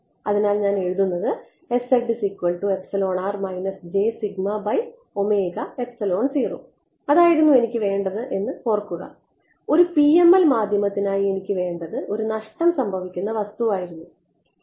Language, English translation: Malayalam, And remember that is what I wanted for a for a PML medium I needed a lossy thing